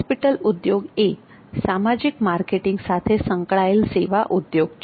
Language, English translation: Gujarati, Hospital industry is related with social marketing